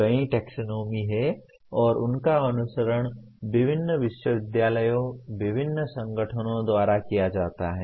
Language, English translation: Hindi, There are several taxonomies and they are followed by various universities, various organizations